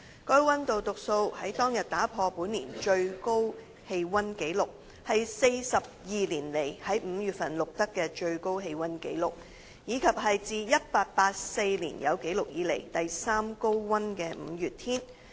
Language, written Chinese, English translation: Cantonese, 該溫度讀數在當日打破本年最高氣溫紀錄、是42年來在5月份錄得的最高氣溫紀錄，以及是自1884年有紀錄以來第三高溫的5月天。, On that day that temperature reading broke the highest temperature record of this year was the highest temperature on record for the month of May in 42 years and marked the third hottest day in May since records began in 1884